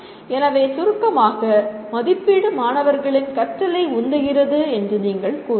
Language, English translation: Tamil, So in summary you can say assessment really drives student learning